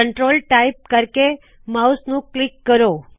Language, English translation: Punjabi, Let us now type the text Control and click the mouse